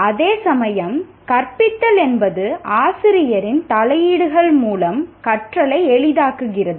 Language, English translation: Tamil, Whereas teaching is facilitating learning through interventions by the teacher